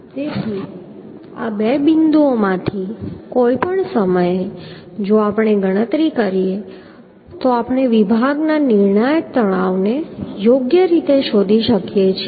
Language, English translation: Gujarati, So at any point any of these two points if we calculate then we can find out the critical stresses of the section right